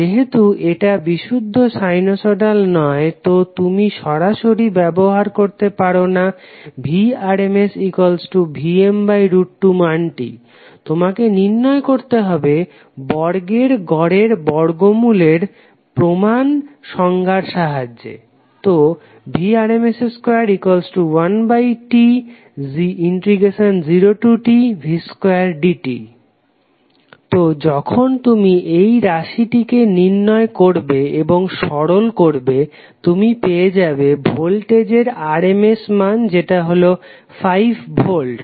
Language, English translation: Bengali, Since it is not a pure sinusoidal you cannot directly use Vrms is equal to Vm by root 2 you have to calculate with the help of the standard definition of root mean square, so Vrms square is nothing but 1 by T, 0 to T v square dt you put the value of voltage value that is 10 sine t for 0 to pi and 0 pi to 2 pi